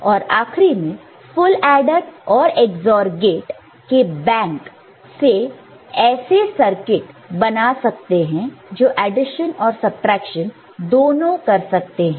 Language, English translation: Hindi, And finally, a full adder and the bank of Ex OR gates for the subtrahend or addend input can give a circuit that can perform both addition and subtraction ok